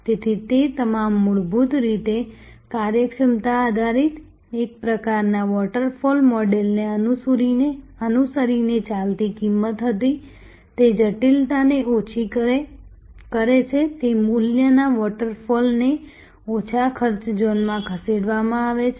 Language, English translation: Gujarati, So, it was all basically efficiency driven, cost driven following a sort of a waterfall model, that lower the complexity lower it went into the value waterfall and it moved to lower cost zones